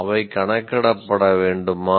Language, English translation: Tamil, They should be enumerated